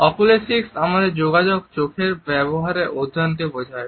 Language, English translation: Bengali, Oculesics refers to the study of the use of eyes in our communication